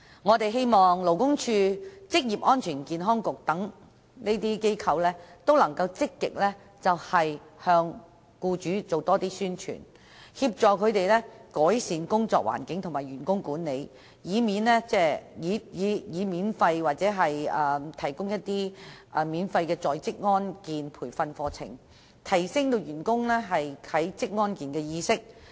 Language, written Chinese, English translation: Cantonese, 我們希望勞工處職業安全健康局能積極向僱主多作宣傳，協助他們改善工作環境和員工管理，並免費提供職安健培訓課程，以提升員工對職安健的意識。, It is our hope that the Labour Department and the Occupational Safety and Health Council would take proactive measures to promote such knowledge among employers and help them improve their working environment and staff management and provide free training in occupational safety and health with a view to promoting employees awareness in this regard